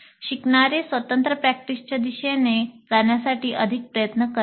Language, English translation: Marathi, So the learners would move more towards independent practice